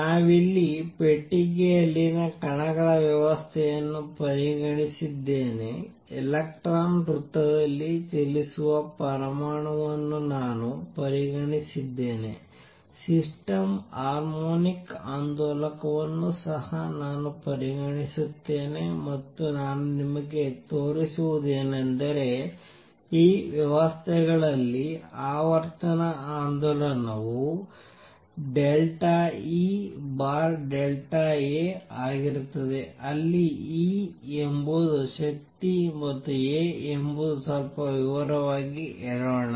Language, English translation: Kannada, Here I have considered the system of particle in a box, I have considered an atom in which the electron is moving around in a circle, I will also consider a system harmonic oscillator and what I will show you is that in these systems the frequency of oscillation is going to be partial E over partial a where E is the energy and a is the action let me elaborate on that a bit